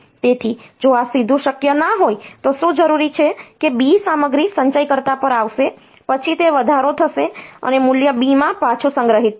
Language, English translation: Gujarati, So, if I if this is not possible directly then what will be required is that B content will come to the accumulator, then it will be incremented and the value will be stored back to the B register